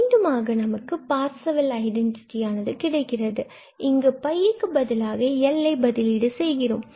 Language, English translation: Tamil, And we can again, for instance here can get the Parseval's Identity just by replacing this pi by L